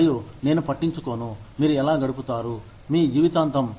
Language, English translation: Telugu, And, I do not care, how you spend, the rest of your life